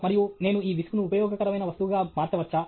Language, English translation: Telugu, And, can I convert the nuisance into a useful product